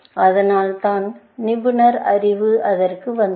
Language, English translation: Tamil, That is why, expert knowledge came into that